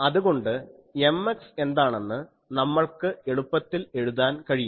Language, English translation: Malayalam, So, we can easily write what will be the M x